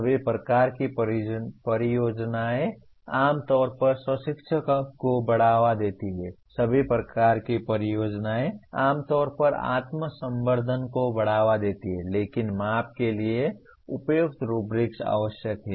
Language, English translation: Hindi, Projects of all kinds generally promote self learning, projects of all kinds generally promote self learning, but appropriate rubrics are necessary for measurement